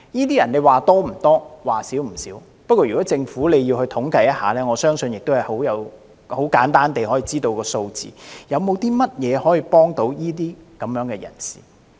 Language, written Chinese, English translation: Cantonese, 這群人的數目說多不多，說少不少，不過如果政府要進行統計，我相信很簡單地便會知道有關數字。, How can the Administrations relief measures help them? . While there are not a lot of such people the number is not small either . But I think if the Government conducts a survey it can easily get the statistics